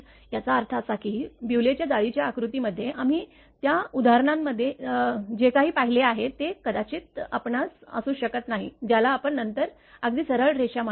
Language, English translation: Marathi, That means, in Bewley’s lattice diagram whatever we have seen in that example it may not be the your what you call a not exactly straight line then